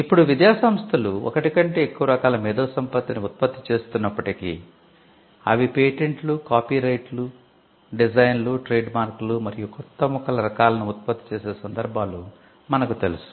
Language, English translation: Telugu, Now though academic institutions generate more than one type of IP, we know instances where they generate patents, copyright, designs, trademark and new plant varieties